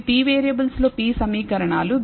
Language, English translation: Telugu, So, these are p equations in p variables